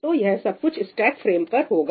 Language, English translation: Hindi, So, all of that will be done on the stack frame